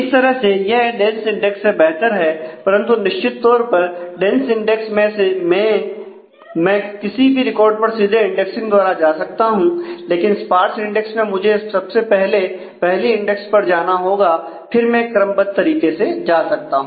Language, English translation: Hindi, So that way it is it is better than the dense index, but certainly in the dense index I can go to any record directly from indexing in the sparse index I need to first index and then go sequentially